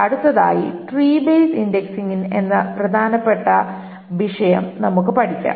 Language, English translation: Malayalam, Next we will cover one very important topic in this indexing which is on the tree based indexing